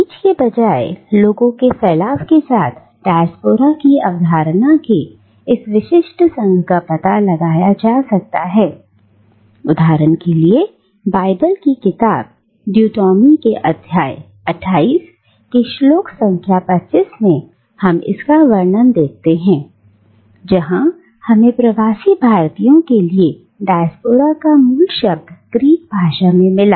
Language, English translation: Hindi, And this specific association of the concept of Diaspora with the dispersion of people rather than with seeds can be traced back, for instance, to the Book of Deuteronomy in the Old Testament of the Bible where in Chapter 28 verse number 25 we find the use of the Greek root word for diaspora